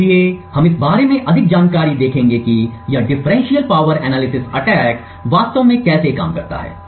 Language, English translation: Hindi, So, we will look at more in details about how this differential power analysis attack actually works